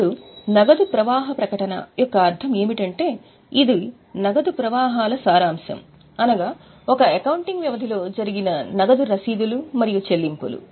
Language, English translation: Telugu, Now, the meaning of cash flow statement is it is a summary of cash flows both receipts as well as payments during an accounting period